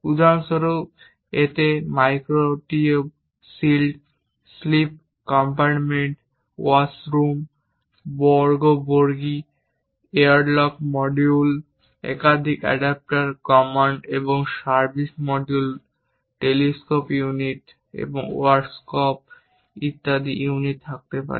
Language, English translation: Bengali, For example, it might be containing micro meteoroid shields, sleep compartments, ward rooms, waste compartments, airlock modules, multiple adapters, command and service modules, telescope units and workshop units